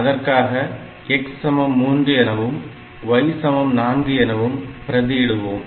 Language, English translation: Tamil, So, we have got 4 x equal to 3 y